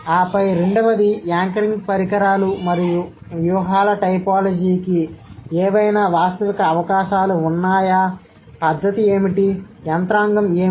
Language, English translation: Telugu, And then the second one is, are there any realistic prospects for a typology of anchoring devices and strategies